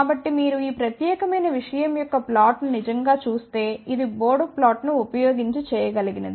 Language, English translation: Telugu, So, if you actually look at the plot of this particular thing which can be done using bode plot